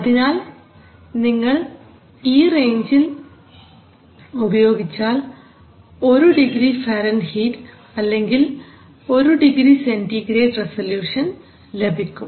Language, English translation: Malayalam, So if you use it within this range then you will get a resolution of one degree Fahrenheit or one degree centigrade